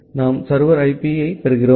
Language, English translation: Tamil, Then we get the server IP